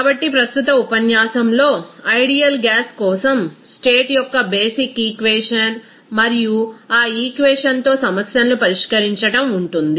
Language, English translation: Telugu, So, present lecture will include the basic equation of the state for ideal gas and solving problems with that equation